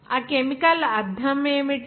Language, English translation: Telugu, What is that chemical means